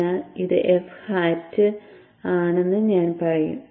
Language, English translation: Malayalam, So I will say this is F hat